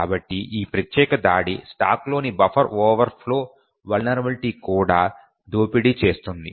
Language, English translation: Telugu, So, this particular attack also exploits a buffer overflow vulnerability in the stack